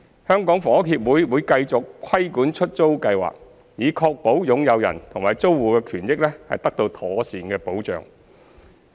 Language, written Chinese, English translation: Cantonese, 香港房屋協會會繼續規管出租計劃，以確保擁有人和租戶的權益得到妥善保障。, HKHS would continue to regulate the Letting Scheme to ensure that the interests of the owners and tenants are properly protected